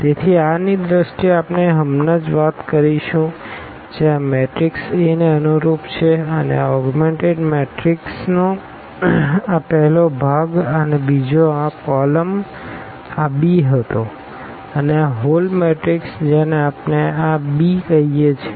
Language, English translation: Gujarati, So, what in terms of the r we will be talking always about now the this is corresponding to the matrix A this first part of this augmented matrix and the second one here this column was this b and the whole matrix we are calling this A b